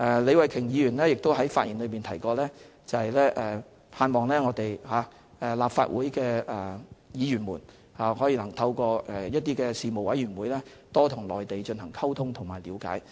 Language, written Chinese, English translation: Cantonese, 李慧琼議員在發言中提及，她盼望立法會議員能夠透過一些事務委員會多與內地進行溝通和了解。, Ms Starry LEE mentioned in her speech that she hoped Members of the Legislative Council could have better communication and understanding with the Mainland via some panels of the Council